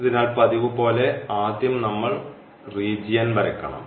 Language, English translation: Malayalam, So, we have to first draw the region as usual